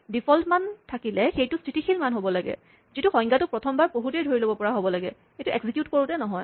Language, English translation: Assamese, So, when you have default values, the default value has to be a static value, which can be determined when the definition is read for the first time, not when it is executed